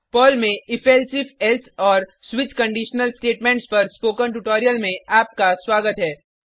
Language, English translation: Hindi, Welcome to the spoken tutorial on if elsif else and switch conditional statements in Perl